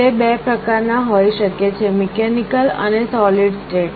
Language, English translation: Gujarati, Relays can be of two types, mechanical and solid state